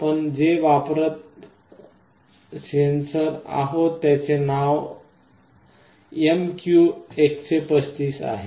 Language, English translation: Marathi, And the name of this sensor is MQ135 that we shall be using